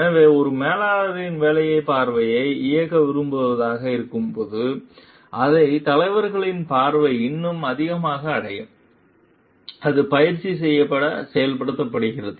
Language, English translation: Tamil, So, when a managers job is to like execute the vision, so that the leaders vision is reached in a more like, it gets practiced and gets implemented